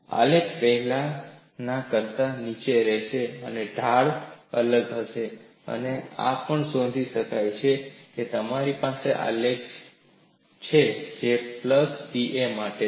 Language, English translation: Gujarati, So, the graph will be below the earlier one, the slope will be different, and this also can be recorded, and you have a graph which is for a plus d